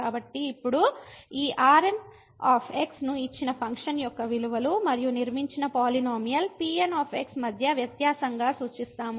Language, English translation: Telugu, So now, we will denote this as the difference between the values of the given function and the constructed polynomial